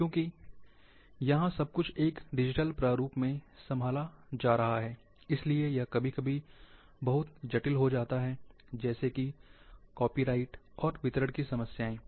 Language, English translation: Hindi, Because everything being handled in a digital format, therefore, this issue sometime become very complex, which is copyright and distribution issues